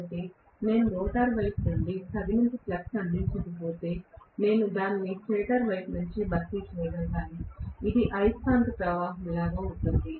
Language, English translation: Telugu, So, if I do not provide enough flux from the rotor side, I have to supplement it from the stator side, which becomes like a magnetising current